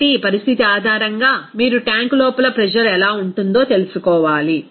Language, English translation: Telugu, So, based on this condition, you have to find out what will be the pressure inside the tank